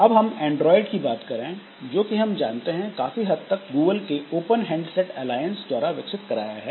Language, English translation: Hindi, So, Android, as we know, it is developed by open handset alliance, mostly by Google